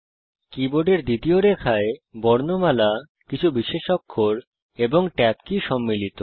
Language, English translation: Bengali, The second line of the keyboard comprises alphabets few special characters, and the Tab key